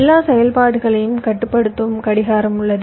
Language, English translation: Tamil, there is a clock which controls all operations